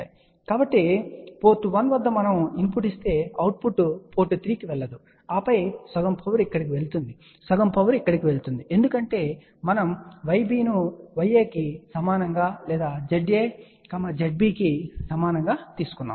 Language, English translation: Telugu, So; that means, if we give a input at port 1, no output goes to port 3 and then half power goes here, half power goes here because we have taken Y b equal to Y a or Z a equal to Z b